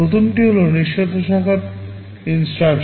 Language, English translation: Bengali, The first one is the unconditional branch instruction